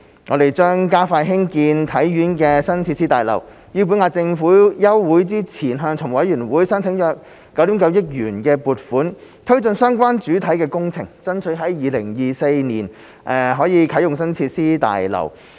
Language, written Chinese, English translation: Cantonese, 我們將加快興建體院的新設施大樓，於本屆立法會休會前向財務委員會申請約9億 9,000 萬元撥款推進相關主體工程，爭取於2024年啟用新設施大樓。, We will expedite the construction of the new facilities building of HKSI and apply to the Finance Committee for a grant of approximately 990 million to advance the relevant major projects before the current term of the Legislative Council ends with a target is to commission the new facilities building in 2024